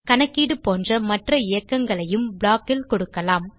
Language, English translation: Tamil, Any other execution like calculation could also be given in the block